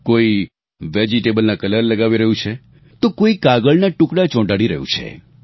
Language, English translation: Gujarati, Some are using vegetable colours, while some are pasting bits and pieces `of paper